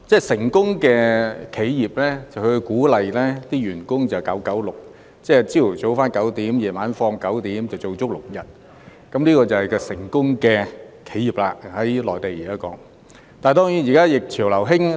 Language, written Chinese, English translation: Cantonese, 成功企業會鼓勵員工 "9-9-6"， 即"早上9時上班，晚上9時下班，每周工作6天"，這就是現時內地成功企業提倡的做法。, Successful enterprises often encourage their employees to work 9 - 9 - 6 which means going to work at 9col00 am and leaving office at 9col00 pm for six days a week . This practice is currently promoted by successful enterprises in the Mainland